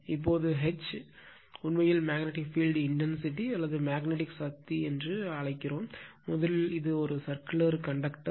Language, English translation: Tamil, Now, this is suppose here now H is actually called magnetic field intensity or magnetic force, and first let me tell you, this is a conductor right, this is a conductor circular conductor